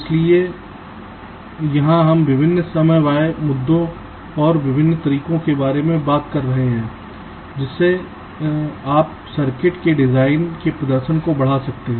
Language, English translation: Hindi, so here we shall be talking about the various timing issues and the different ways in which you can enhance the performance of a design of the circuit